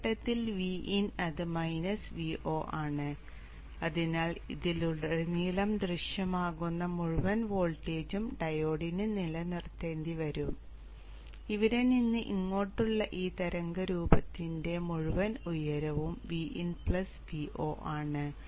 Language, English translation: Malayalam, VIN at this point and this is minus V0 so the diode has to withstand the entire voltage which appears across this loop so this whole height of this waveform from here to here is V in plus V0